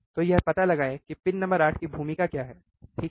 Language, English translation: Hindi, So, find it out what is the role of pin number 8, alright